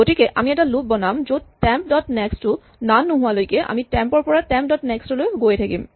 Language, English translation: Assamese, So, we just write a loop which says while temp dot next is not none just keep going from temp to temp dot next